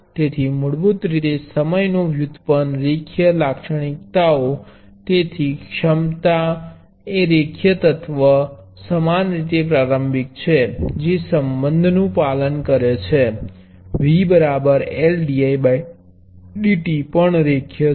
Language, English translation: Gujarati, So, basically the time derivative linear characteristics, so capacity is the linear element; similarly inductor which obeys relationship V is L dI by dt is also linear